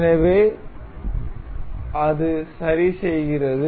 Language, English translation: Tamil, So, it fixes